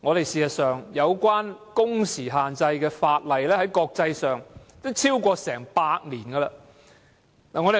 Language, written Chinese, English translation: Cantonese, 事實上，有關工時限制的法例在國際上已訂立超過100年。, In fact legislation restricting working hours has been enacted internationally for over 100 years